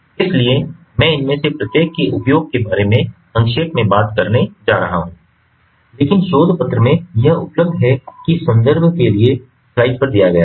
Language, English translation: Hindi, so i am going to briefly talks about each of these, highlighting their use, but this is available in the paper, in the research paper that for the reference of which is given ah ah, on the slide